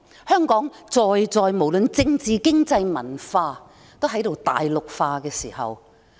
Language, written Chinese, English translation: Cantonese, 香港在政治、經濟、文化方面都在大陸化。, Mainlandization is taking place in the political economic and cultural arenas of Hong Kong